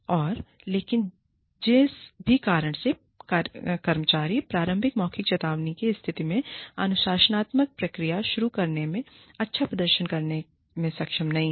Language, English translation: Hindi, And, but for whatever reason, the employee is not able to perform well, when you start the disciplinary process, in the initial verbal warning state